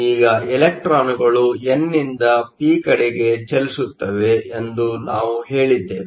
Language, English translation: Kannada, Electrons move from the n to the p